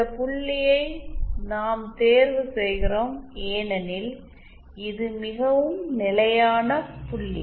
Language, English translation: Tamil, We choose this point because this is the most stable point